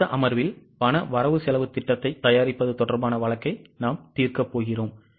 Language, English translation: Tamil, In the next session we are going to solve a case on preparation of cash budget